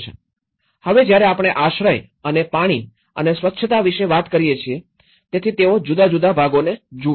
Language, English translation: Gujarati, Now, when we talk about the shelter and water and sanitation, so different segments they look at it